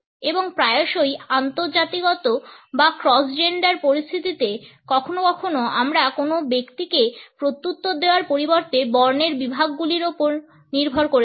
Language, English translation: Bengali, And often in interracial or cross gender situations sometimes we may tend to rely upon categories in classes instead of responding to an individual